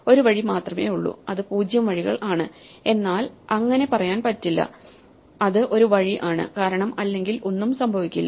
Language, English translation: Malayalam, Well there is only one way, it is tempting to say 0 ways, but it is not 0 ways its one way otherwise nothing will happen